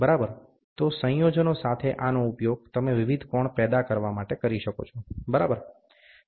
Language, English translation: Gujarati, So, you can use this, along with the combination of this to generate the various angles, ok